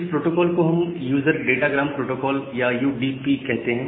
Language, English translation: Hindi, So, for that we support this user datagram protocol or UDP protocol in the internet